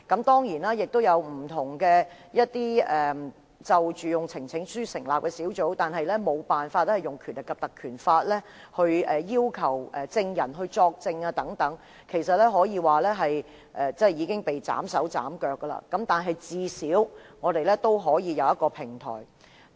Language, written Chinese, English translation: Cantonese, 當然，曾有議員提交呈請書以成立不同的專責委員會，但無法引用《條例》賦予的權力要求證人作證，其實可說是已被斬去手腳，但我們最少仍有一個平台。, Certainly some Members have presented petitions to set up different select committees but we are unable to invoke the power vested by the Ordinance to request any witness to testify . It can actually be said that our hands are tied but at least we still have a platform